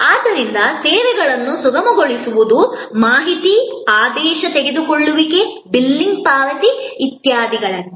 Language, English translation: Kannada, So, facilitating services are like information, order taking, billing, payment, etc